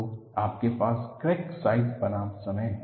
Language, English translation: Hindi, So, you have a crack size versus time